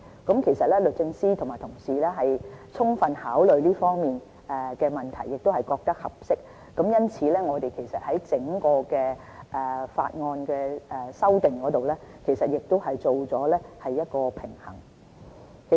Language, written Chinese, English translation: Cantonese, 不過，律政司和我們同事已充分考慮這方面的問題，也覺得現時的條文合適，而我們在整項法案修訂裏面，亦已作出了平衡。, However the Department of Justice and our colleagues have thoroughly considered the issue and believed that the provisions are appropriate . Furthermore we have struck a balance in the overall legislative amendment